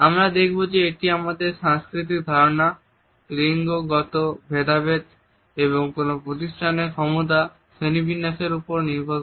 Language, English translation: Bengali, As we shall see it is also based with our cultural understanding, our gender differences as well as the power hierarchies within any organization